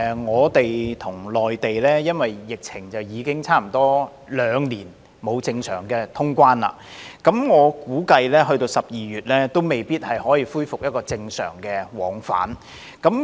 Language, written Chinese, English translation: Cantonese, 我們與內地因為疫情已差不多兩年沒有正常通關，我估計直至12月也未必可以恢復正常往返。, We have not had normal traveller clearance with the Mainland for almost two years due to the epidemic . I guess normal travel between the two places may still be unable to resume even in December